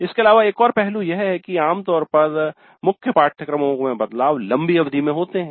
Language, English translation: Hindi, And also another aspect is that generally changes in the core courses happen over longer periods